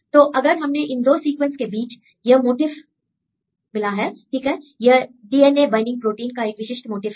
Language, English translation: Hindi, So, we get this motif between these 2 sequences right this is a specific motif for the DNA binding proteins